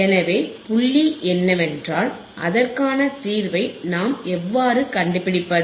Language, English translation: Tamil, So, the point is, how can we find the solution to it